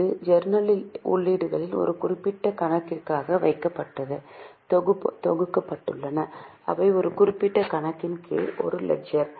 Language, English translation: Tamil, Now, from the journal the entries are classified and grouped for a particular account and they are written under a particular account in what is known as a ledger